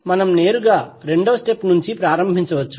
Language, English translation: Telugu, We can straight away start from second step